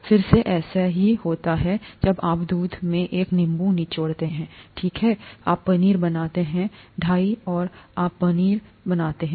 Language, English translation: Hindi, same thing happens when you squeeze a lemon into milk, okay you form paneer, right, you form cheese, cottage cheese